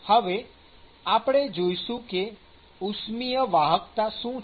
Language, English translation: Gujarati, Let us look at what is thermal conductivity